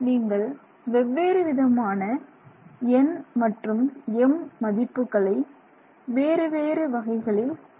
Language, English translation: Tamil, Any other selection that you make you will have a different value of n and different value of M